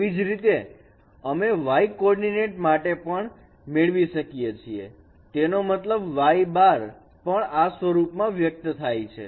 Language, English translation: Gujarati, Similarly we can get also for the y coordinate that means y prime also can be expressed in this form